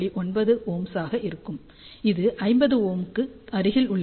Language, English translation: Tamil, 9 ohm, which is close to 50 ohm